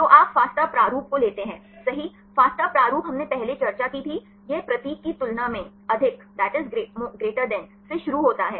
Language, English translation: Hindi, So, you take the fasta format right, fasta format we discussed earlier, it starts with the greater than symbol right